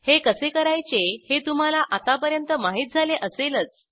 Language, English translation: Marathi, You must be familiar how to do so, by now